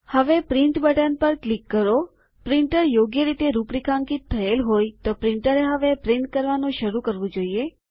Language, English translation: Gujarati, Now click on the Print button.If the printer is configured correctly, the printer should start printing now